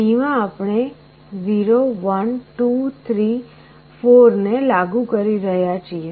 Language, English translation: Gujarati, So, in D we are applying 0, 1, 2, ,3 4